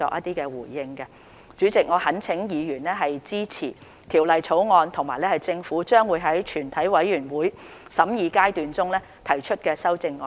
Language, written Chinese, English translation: Cantonese, 代理主席，我懇請議員支持《條例草案》及政府將在全體委員會審議階段中提出的修正案。, Deputy President I implore Members to support the Bill and the amendments to be proposed by the Government at Committee stage later